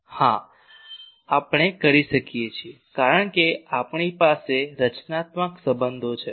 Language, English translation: Gujarati, Yes we can because we have constitutive relations